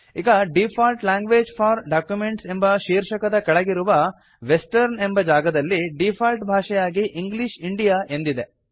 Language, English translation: Kannada, Now under the headingDefault languages for documents, the default language set in the Western field is English India